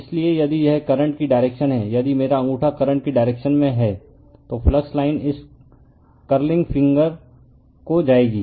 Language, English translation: Hindi, So, if the if this is the direction of the current, if my thumb is the direction of the current, then flux line will be the curling this curling finger right